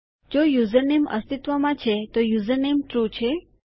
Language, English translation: Gujarati, if the username exists so the username is true..